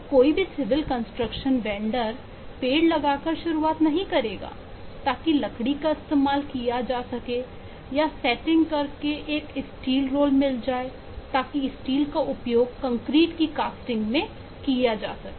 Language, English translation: Hindi, now, no civil construction vendor would start by planting trees so that timber can be used, or by setting a steel roll mill so that the steel can be used in casting the concrete, and so and so what you will do